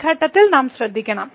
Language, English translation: Malayalam, So, at those points we have to be careful